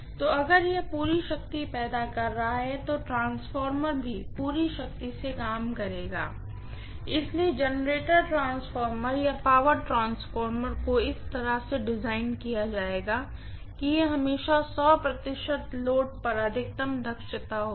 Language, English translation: Hindi, So, if it is generating full power then the transformer will also be handling full power, so the generator transformer or power transformer will be designed in such a way that it will always have maximum efficiency at 100 percent load